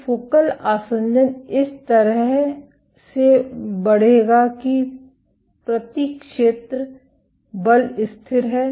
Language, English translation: Hindi, So, focal adhesion will grow in a way that force per area is constant